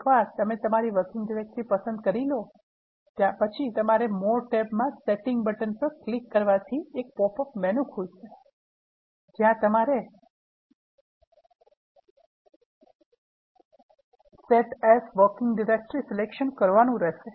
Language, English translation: Gujarati, Once you choose your working directory, you need to use this setting button in the more tab and click it and then you get a popup menu, where you need to select Set as working directory